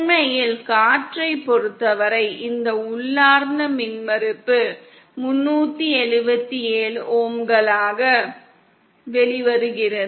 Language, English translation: Tamil, In fact for air this intrinsic impedance comes out to be 377 ohm